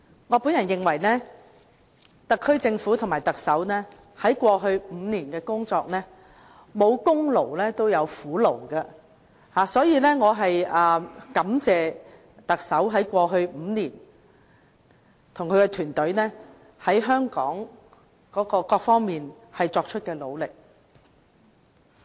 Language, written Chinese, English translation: Cantonese, 我認為，特區政府與特首在過去5年的工作中，即使沒有功勞，也有苦勞，所以，我感謝特首及其團隊在過去5年對香港各方面作出的努力。, Though the SAR Government and the Chief Executive may not really have much achievements over the past five years I believe they have at least worked hard dutifully . Therefore I wish to express my gratitude towards the Chief Executive and his team for their efforts in various aspects for Hong Kong over the past five years